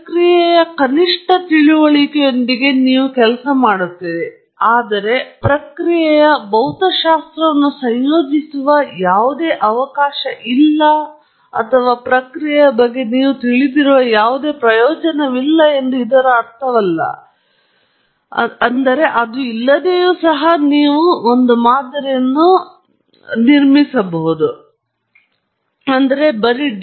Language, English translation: Kannada, You work with a minimal understanding of the process, but that does not mean that there is no provision for incorporating the physics of the process or whatever you know about the process a priori; you can